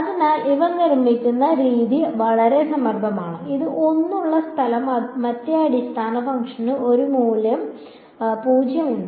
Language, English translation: Malayalam, So, the way these are constructed is very clever again the place where this there is 1, the other basis function has a value 0